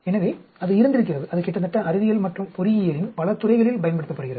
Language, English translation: Tamil, So, it has been there, it is being used in almost many fields of science and engineering